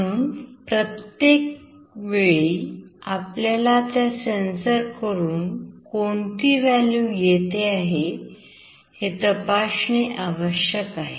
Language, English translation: Marathi, So, at every point in time, we need to check what value we are receiving from that sensor